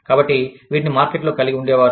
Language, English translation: Telugu, So, used to have these, in the market